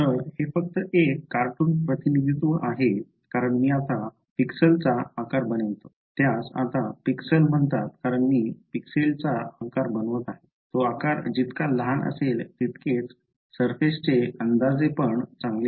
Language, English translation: Marathi, So, this is just a cartoon representation as I make the size of the pixels now these are called pixels as I make the size of the pixel smaller and smaller better is the approximation of the surface